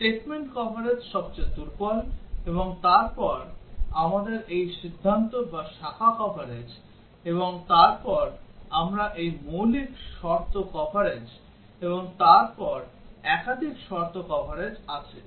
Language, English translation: Bengali, Statement coverage is the weakest, and then we have this decision or branch coverage, and then we have this basic condition coverage and then the multiple condition coverage